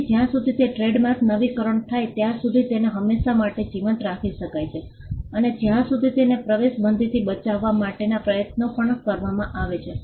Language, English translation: Gujarati, So, a trademark can be kept alive in perpetuity as long as it is renewed, and as long as efforts to protect it from entrainment are also done